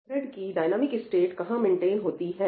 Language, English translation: Hindi, where is the dynamic state of that thread being maintained